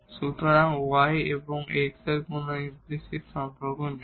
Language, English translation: Bengali, So, we have y is given in terms of x no other implicit relation